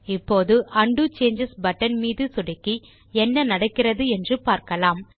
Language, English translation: Tamil, Now, let us click on the Undo Changes button, and see what happens